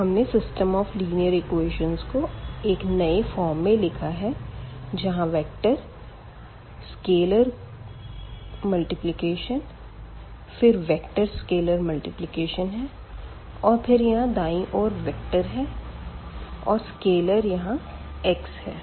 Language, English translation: Hindi, So, we have written the given system of equations in this form where we see the vector scalar multiplication vector scalar multiplication and here the vector again the right hand side the scalar means this the number x here